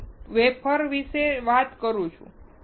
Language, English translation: Gujarati, I am talking about the wafer